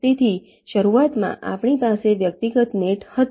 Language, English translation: Gujarati, so initially we had the individual nets